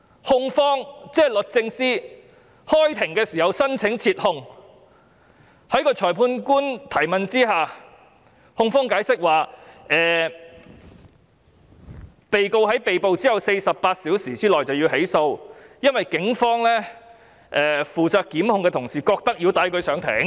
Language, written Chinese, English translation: Cantonese, 控方即律政司在開庭時申請撤控，在裁判官提問下，控方解釋被告在被捕後48小時內便要被起訴，因為警方負責檢控的同事認為要帶他上庭。, The prosecution namely the Department of Justice applied for withdrawing the case immediately after the court session had started and explained in response to the Magistrates question that the defendant must be prosecuted within 48 hours after his arrest for the reason that the policemen in charge of prosecution insisted on taking him to the Court